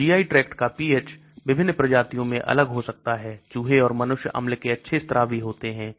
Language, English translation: Hindi, So GI tract pH can be different among species, Rats and humans are good acid secretors